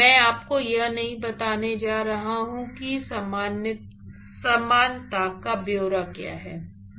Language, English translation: Hindi, In fact, I am not going to give you what are the details of the similarity